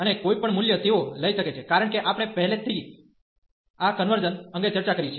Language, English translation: Gujarati, And any value they can take, because we have already discussed the convergence